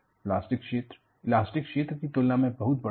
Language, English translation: Hindi, A plastic region is, very large in comparison to elastic region